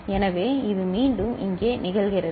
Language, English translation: Tamil, So, this is again occurring over here